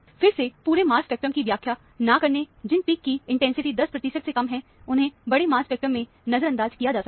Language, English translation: Hindi, Again, do not interpret the entire mass spectrum; peaks which have less intensity, less than 10 percent, can be ignored in the mass spectrum